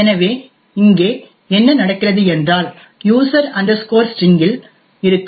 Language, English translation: Tamil, The next thing we actually look at is the address of user string